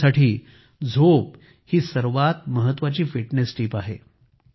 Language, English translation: Marathi, For me sleep is the most important fitness tip